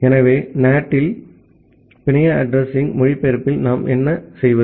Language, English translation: Tamil, So, what we do in Network Address Translation on NAT